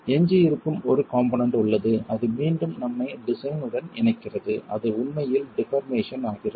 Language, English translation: Tamil, There is one component that remains which again links us to design and that is really deformations